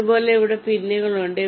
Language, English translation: Malayalam, similarly, there are pins here